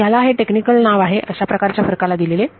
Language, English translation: Marathi, So, this is the technical name given to this kind of a difference